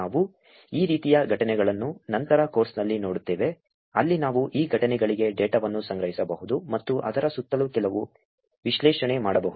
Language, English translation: Kannada, We will look at these kind of incidences later in the course where we can collect data for these incidences and do some analysis around it